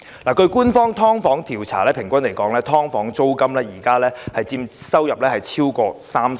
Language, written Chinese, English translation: Cantonese, 根據官方的"劏房"調查，現時"劏房"租金平均佔租戶收入超過三成。, According to an official survey on subdivided units the rent for subdivided units currently accounts for more than 30 % of the income of tenants on average